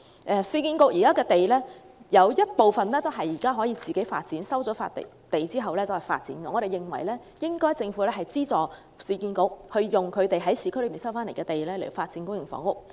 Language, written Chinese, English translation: Cantonese, 現時市建局有部分土地收回後可自行發展，我們認為政府應資助市建局利用市區的收回土地發展公營房屋。, Currently URA initiates the development on some recovered land . We think the Government should subsidize URA to develop public housing on recovered land in urban areas